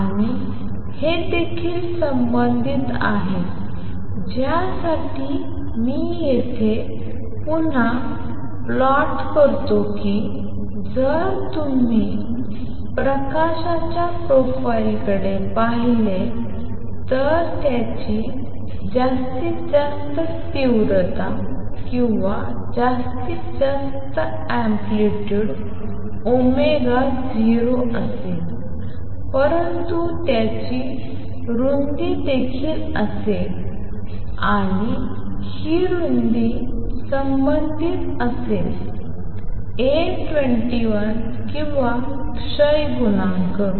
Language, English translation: Marathi, And this is also related to which I re plot here that if you look at the profile of light coming out it will have maximum intensity or maximum amplitude at omega 0, but would also have a width and this width is going to be related to A 21 or the coefficient of decay